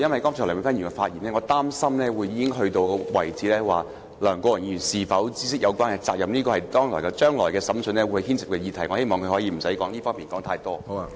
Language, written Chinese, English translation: Cantonese, 我擔心梁美芬議員剛才的發言已經到了一個程度，論及梁國雄議員是否知悉有關責任，這是將來審訊會牽涉的議題，我希望她不要在這方面說太多。, I am worried that Dr Priscilla LEUNGs remarks have reached the point of commenting whether Mr LEUNG Kwok - hung was aware of the relevant responsibility which is the point to be decided in the coming trial . I hope she will refrain from commenting too much on that